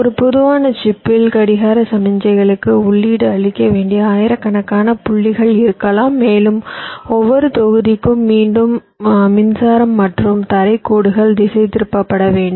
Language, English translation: Tamil, say, in a typical chip, there can be thousands of points where the clock signals should be fed to, and again, for every block we need the power supply and ground lines to be routed ok